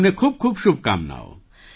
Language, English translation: Gujarati, Many best wishes to you